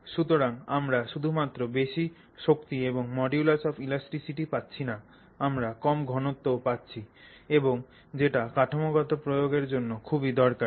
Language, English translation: Bengali, So, you are not only getting such high strength and modulus of elasticity, you are getting it at extremely low density and that's like an amazing thing to have for any structural application